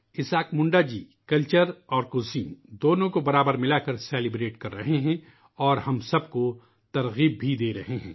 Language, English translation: Urdu, Isaak Munda ji is celebrating by blending culture and cuisine equally and inspiring us too